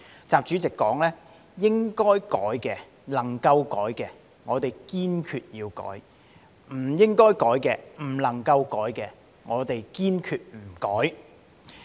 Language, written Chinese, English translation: Cantonese, 習主席說道："該改的、能改的我們堅決改，不該改的、不能改的堅決不改。, President XI said to this effect We must resolutely reform what should and can be changed; we must resolutely not reform what should not and cannot be changed